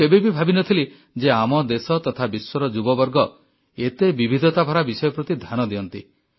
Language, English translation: Odia, I had never thought that the youth of our country and the world pay attention to diverse things